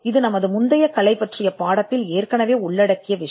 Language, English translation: Tamil, Now this is something which we have covered in the lesson on prior art